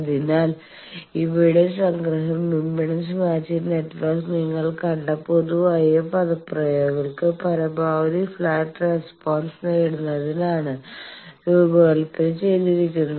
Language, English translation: Malayalam, So, summary of these is impedance matching network is designed to achieve maximally flat response the generic expressions you have seen